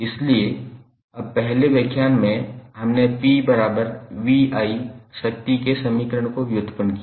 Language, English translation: Hindi, So, now in first lecture we derived the equation of power that was P is equal to V I